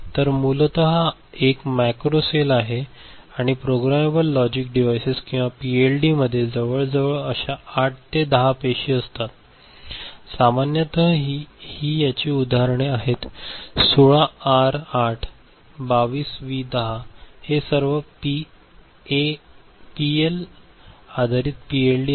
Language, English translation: Marathi, So, this is basically one macro cell and a programmable logic device or PLD will be having about 8 to 10 such cells, typically it will have like this right and examples are the 16R8, 22V10 these are all PAL based PLD ok